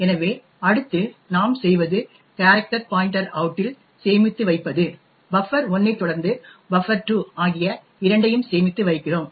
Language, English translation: Tamil, So next what we do is we store in the character pointer out we store both buffer 1 followed by buffer 2